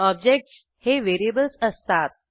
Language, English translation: Marathi, Objects are variables